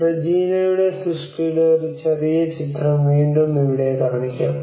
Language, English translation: Malayalam, A small film of Reginaís work will be again shown here